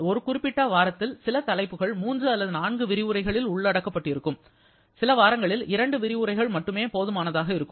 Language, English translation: Tamil, Now, some of the topics in a particular week will be covered in 3 or 4 lectures where some of them may need just 2 lectures